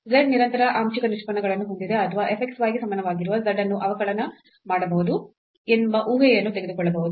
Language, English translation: Kannada, So, let us take the first case lets z posses continuous partial derivatives or we can also take this assumption that this z is equal to f x y is differentiable